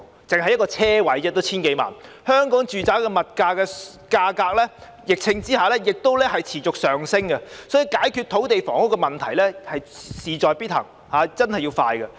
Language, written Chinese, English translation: Cantonese, 只是一個車位也要 1,000 多萬元，香港住宅物業的價格在疫情下仍然持續上升，所以解決土地和房屋問題事在必行，而且要加快進行。, A parking space alone costs more than 10 million . Residential property prices in Hong Kong are still rising continuously in the midst of the pandemic . So the Government must be determined to tackle the problems of land and housing expeditiously